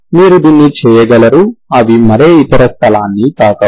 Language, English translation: Telugu, You can just do it, they do not touch any other place